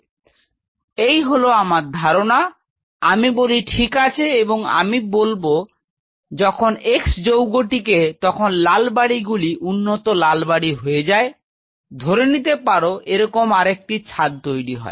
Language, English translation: Bengali, So, this is my hypothesis I said fine and I say that when x is sent to these red houses the red becomes red develop something say you know develop another roof like this